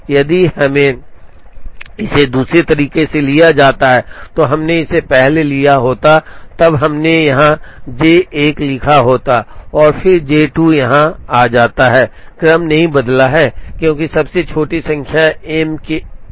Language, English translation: Hindi, If we are taken it the other way, we would have taken this first then we would have written J 1 here and then J 2 would have come here, the sequence has not changed, because the smallest number happened to be on M 1 for a particular job and on M 2 for some other job